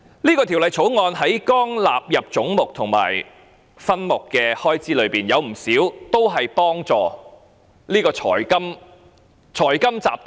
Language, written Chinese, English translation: Cantonese, 這項條例草案在總目和分目的開支內，有不少是幫助財金集團的。, This is the major premise . Under this Bill not a few sums under the heads and subheads are for helping the financial conglomerates